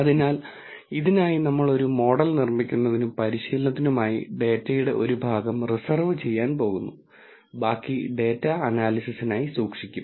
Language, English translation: Malayalam, So, for this we are going to reserve a part of the data for building a model and for training and the rest of the data will be kept for analysis